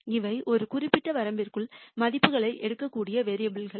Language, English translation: Tamil, These are variables that can take values within a certain range